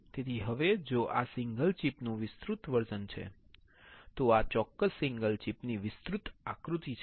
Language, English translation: Gujarati, So, now, if this is magnified version of or this one single chip, this is the enlarged figure of this particular single chip